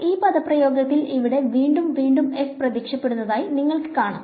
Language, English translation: Malayalam, Now, you can see that there is f is appearing again and again over here in this expression